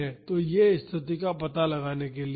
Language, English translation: Hindi, So, that is to locate this position